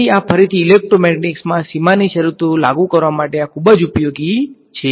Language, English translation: Gujarati, So, this is again very useful for imposing boundary conditions in electromagnetics